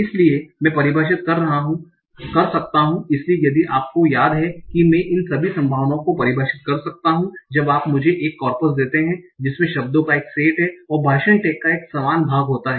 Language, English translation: Hindi, So I can define, so if you remember I can define all these probabilities once you give me a corpus that contains a set of words and their corresponding part of speech tax